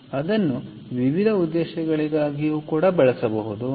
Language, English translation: Kannada, ok, so that can be used for various purposes